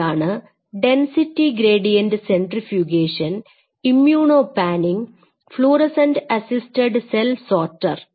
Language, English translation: Malayalam, So, you have density gradient centrifugation, you have immuno panning you have fluorescent assisted cell sorter